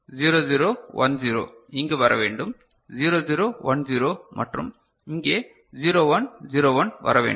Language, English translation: Tamil, So, 0 0 1 0 should come here 0 0 1 0 and here 0 1 0 1 should come